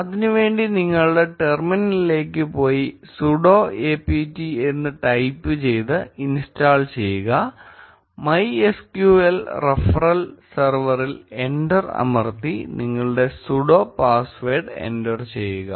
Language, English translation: Malayalam, To do that, go to your terminal and type sudo apt get install MySQL hyphen server press enter and enter your sudo password